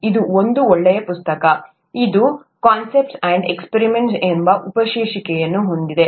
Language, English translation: Kannada, This is also a nice book; it has a subtitle ‘Concepts and Experiments’